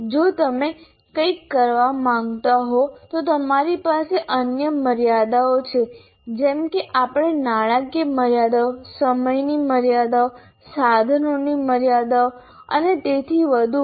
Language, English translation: Gujarati, What happens if you want to perform something, you have other constraints like monetary constraints, time constraints, and equipment constraints and so on